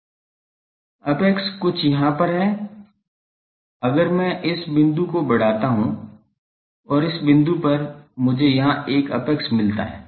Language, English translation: Hindi, Apex is something here, if I extend this point and this point I get an apex here